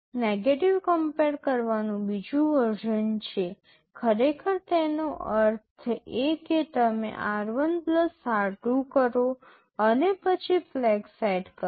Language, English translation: Gujarati, There is another version compare negative; actually it means you do r1 + r2 and then set the flags